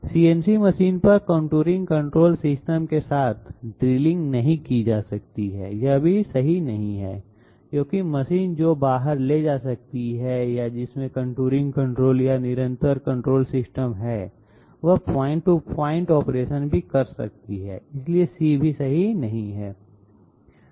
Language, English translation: Hindi, Drilling cannot be done on CNC machine with contouring control system, this is also not correct because machine which can carry out or which has contouring control or continuous control system, it can also carry out point to point operations, so C is also not correct